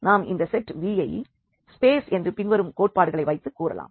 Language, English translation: Tamil, So, having all these here; now when do we call this set V a vector space when the following axioms hold